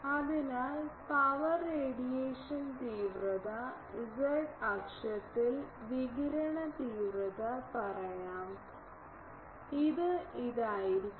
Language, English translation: Malayalam, So, I will say power radiation intensity let us say radiation intensity along z axis that will be this